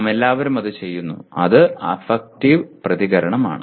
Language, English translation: Malayalam, We all do that and that is affective response